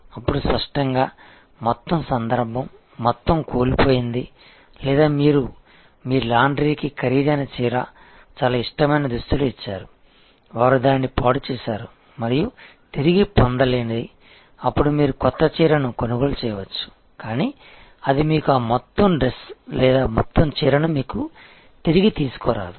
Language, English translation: Telugu, Then, obviously, the whole occasion, the whole point is lost or you have given a costly saree, a very favorite dress to your laundry and they have spoiled it and which is irretrievable, then you might buy a new saree, but that will not, never bring you that whole dress or whole saree back to you